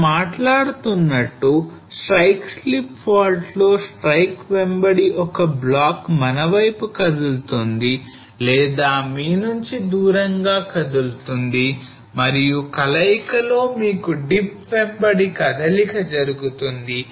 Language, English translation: Telugu, So as we were talking about that in strike slip fault one block will move towards us or away from us along the strike and in combination you will have the movement taking place up along the dip